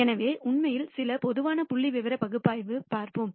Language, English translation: Tamil, So, let us actually look at some typical analysis statistical analysis